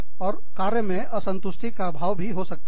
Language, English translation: Hindi, And, i could be feeling, dissatisfied at my job